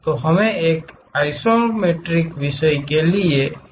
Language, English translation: Hindi, So, one of the axis we need isometric theme